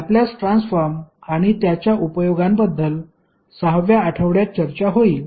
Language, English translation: Marathi, The Laplace transform and its application will be discussed in the 6th week